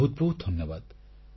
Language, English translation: Odia, Thank you very very much